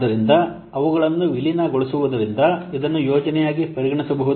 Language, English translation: Kannada, So since they will be merged, then this can be treated as a project